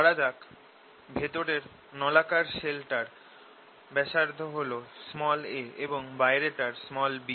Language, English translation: Bengali, let radius of the inner cylindrical shell b a, let the radius of the outer one b b